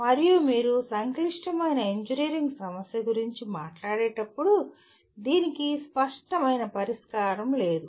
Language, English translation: Telugu, And when you talk about a complex engineering problem, it has no obvious solution